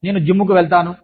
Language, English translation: Telugu, I can go to the gym